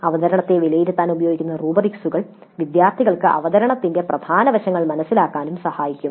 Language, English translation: Malayalam, The rubrics which are used to evaluate the presentation can help the students understand the important aspects of presentation